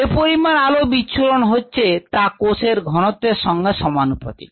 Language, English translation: Bengali, the light that is been scattered is proportional to the concentration of cells